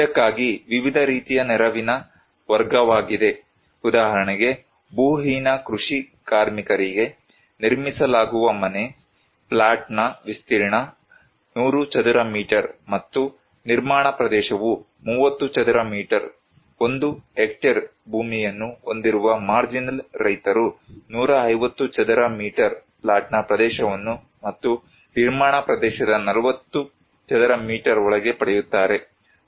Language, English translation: Kannada, For this is the category of different kind of assistance, like, for the landless agricultural labourer, the house that will be built, plot area would be 100 square meters and the construction area would be 30 square meter, marginal farmers up to 1hectare landholding, they will get 150 square meters plot area and within that 40 square meter of construction area